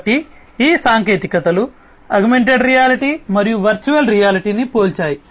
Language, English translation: Telugu, So, this is how these technologies compare augmented reality and virtual reality